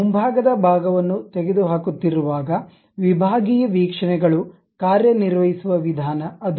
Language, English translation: Kannada, When you are removing the frontal portion, that is the way sectional views works